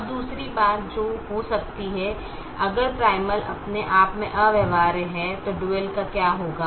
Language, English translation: Hindi, now the other thing that can happen: if the primal itself is infeasible, what'll happen to the dual